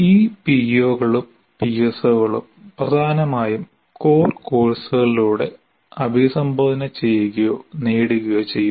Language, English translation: Malayalam, And these POs and PSOs are mainly addressed or attained through core courses